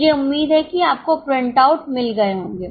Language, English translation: Hindi, I hope you have got the printout